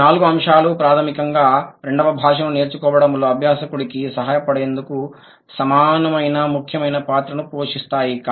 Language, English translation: Telugu, These four factors play equally important role to help the learner to learn a language, basically the second language